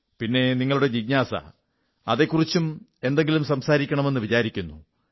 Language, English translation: Malayalam, The rest is your inquisitiveness… I think, someday I'll talk about that too